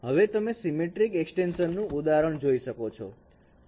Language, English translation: Gujarati, Now you can see this is an example of a symmetric extension